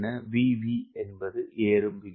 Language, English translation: Tamil, v is rate of climb